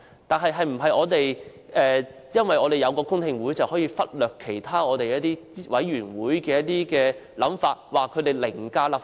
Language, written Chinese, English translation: Cantonese, 但是，是否因為我們有公聽會，便可以忽略其他委員會的想法，指他們凌駕立法會？, However can we neglect the opinions of other committees and accuse them of riding roughshod over the Legislative Council just because we have held public hearings?